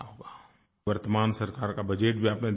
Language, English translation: Hindi, You must have seen the Budget of the present government